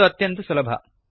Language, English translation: Kannada, This is easy too